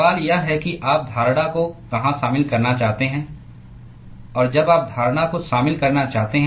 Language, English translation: Hindi, The question is where you want to incorporate the assumption; and when you want to incorporate the assumption